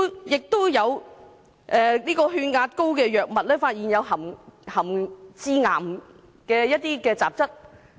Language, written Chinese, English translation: Cantonese, 也有治療高血壓的藥物被發現含致癌雜質。, and an antihypertensive drug was also found to have carcinogenic substances